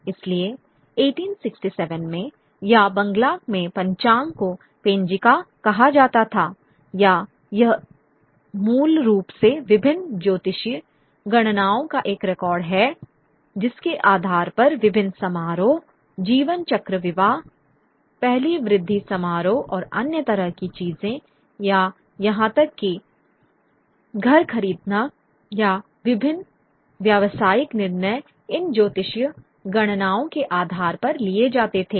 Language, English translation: Hindi, So, in 1867 or in Bangla the almanac would be called the Ponjika or it is basically a record of various astrological calculations on the basis of which various ceremonies of the life cycle marriages, you know, the first rise ceremonies and other kinds of things or even buying house or various business decisions would be taken on the basis of these astrological calculations